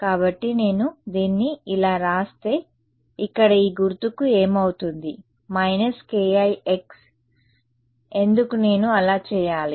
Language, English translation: Telugu, So, if I write it like this, what happens to this sign over here minus k i x why would I do that